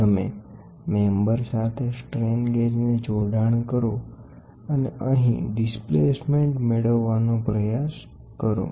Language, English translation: Gujarati, You bond the strain gauge with the member and try to get the displacement here